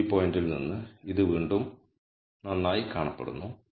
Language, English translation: Malayalam, It again looks good from the x view point